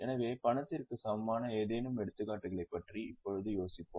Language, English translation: Tamil, So, can you think of any examples of cash equivalent now